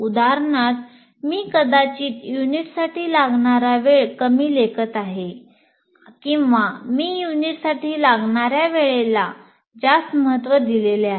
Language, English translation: Marathi, For example, I might be underestimating the time required for a unit or I have overestimated the time required for a unit and so on